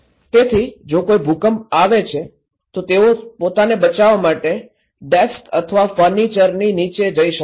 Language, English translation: Gujarati, So, if there is an earthquake, they can go under desk or furniture to protect themselves